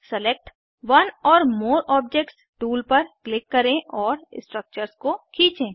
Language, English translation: Hindi, Click on Select one or more objects tool and drag the structures